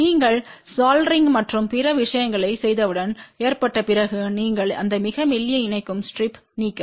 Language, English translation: Tamil, Once you have done the soldering and other thing mounted then you just remove that very thin connecting strip